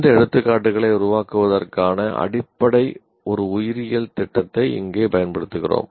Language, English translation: Tamil, Here we are using the biology program as the basis for creating these examples